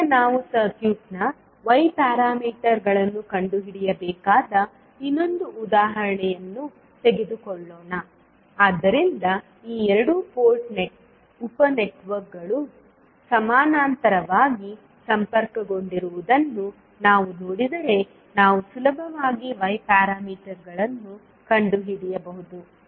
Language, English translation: Kannada, Now, let us take another example where we need to find out the Y parameters of the circuit, so if you see these two port sub networks are connected in parallel so we can easily find out the Y parameters